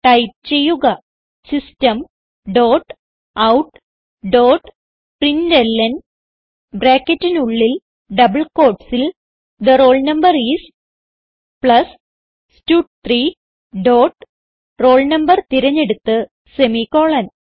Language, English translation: Malayalam, System dot out dot println within brackets and double quotes The name is, plus stud2 dot select name and semicolon